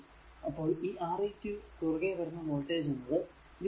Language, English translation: Malayalam, So, voltage across one and 2 is v actually